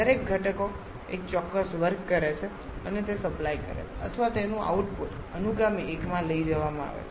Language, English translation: Gujarati, Each of the components does one specific work and supplies that or the output of that is taken to the subsequent one